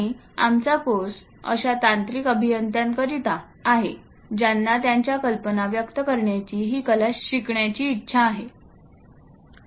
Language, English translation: Marathi, And our course is meant for such technical engineers who would like to learn this art of representing their ideas